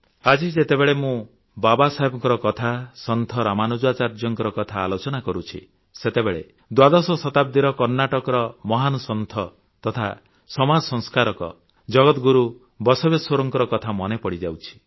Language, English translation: Odia, Today when I refer to Babasaheb, when I talk about Ramanujacharya, I'm also reminded of the great 12th century saint & social reformer from Karnataka Jagat Guru Basaveshwar